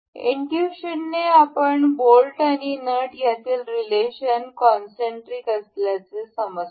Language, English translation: Marathi, So, by intuition we can see the relation between the bolt and the nut is supposed to be concentric over one another